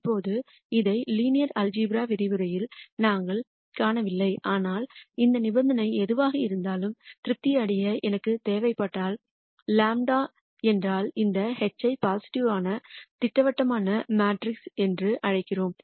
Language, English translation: Tamil, Now, we did not see this in the linear algebra lectures, but if I need this condition to be satisfied irrespective of whatever delta is then we call this H as a positive definite matrix